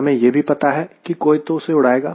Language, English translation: Hindi, and also we know that somebody will be flying it